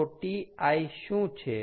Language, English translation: Gujarati, so what is ti